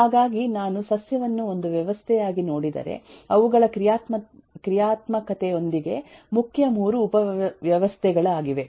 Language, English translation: Kannada, so if I look at the plant as a system, then these are the main 3 subsystems with their functionalities